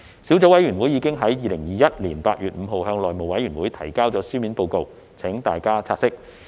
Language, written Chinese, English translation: Cantonese, 小組委員會已於2021年8月5日向內務委員會提交書面報告，請大家察悉。, The Subcommittee submitted a written report to the House Committee on 5 August 2021 for Members consideration